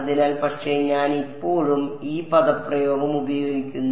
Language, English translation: Malayalam, So,, but I am still using this expression